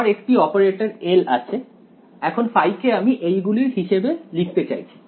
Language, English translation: Bengali, So, I have my operator L, now phi I am going to write in terms of these guys